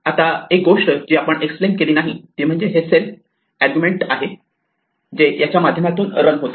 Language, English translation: Marathi, Now one thing which we did not explain is this argument self that run through this